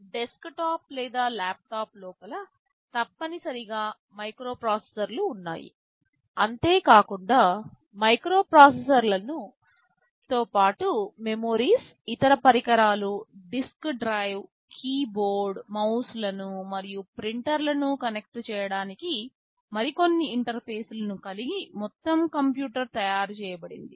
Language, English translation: Telugu, They are essentially microprocessors and inside a desktop or a laptop it is not only the microprocessors, there are memories, there are other devices, there is a disk drive there are some other interfaces to connect keyboard and mouse for example, printers that makes our entire computer